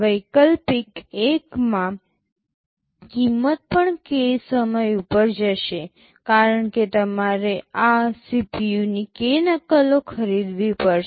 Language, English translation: Gujarati, In alternative 1 the cost will also go up k time, because you have to buy k copies of this CPU